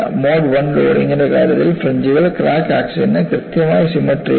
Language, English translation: Malayalam, In the case of mode 1 loading, about the crack axis, the fringes were exactly symmetrical